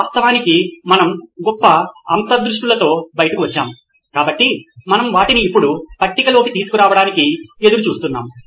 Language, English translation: Telugu, We’ve actually come out with great insights in fact, so we are looking forward to bring them on to the table now